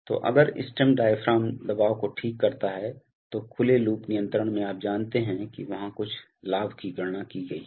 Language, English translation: Hindi, So, if the stem position diaphragm pressure, so in open loop control we will, you know there is there is some gain calculated